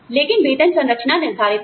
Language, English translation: Hindi, We also have a pay structure